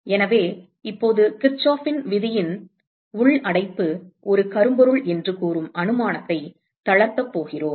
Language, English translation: Tamil, So, now, we are going to relax the assumption of Kirchoff’s law saying that the internal enclosure is a black body